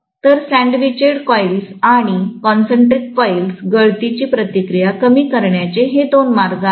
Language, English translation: Marathi, So sandwiched coils and concentric coils, these are two ways of reducing leakage reactance